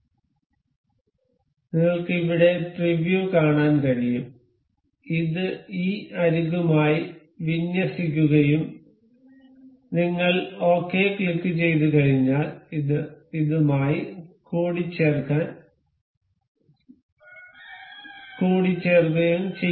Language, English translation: Malayalam, So, you can see the preview here this is aligned with this edge and once we click ok, this is mated with this